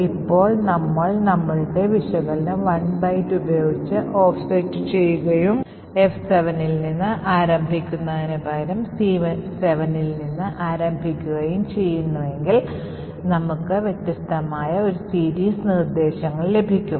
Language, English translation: Malayalam, Now if we just offset our analysis by 1 byte and state that instead of starting from F7 we start with C7 then we get a different sequence of instructions